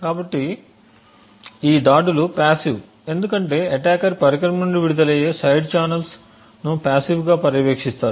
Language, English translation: Telugu, So, these attacks are passive because the attacker is passively monitoring the side channels that are emitted from the device